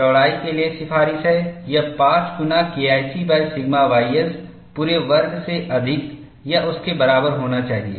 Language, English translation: Hindi, The recommendation for the width is, it should be greater than or equal to 5 times K 1 C divided by sigma y s whole squared